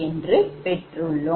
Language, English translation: Tamil, this is given